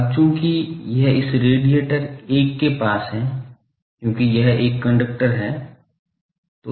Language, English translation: Hindi, Now, since this is nearby this radiator 1, because this is a conductor